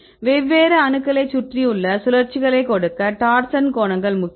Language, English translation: Tamil, The torsion angles are important that we give the rotations around the different atoms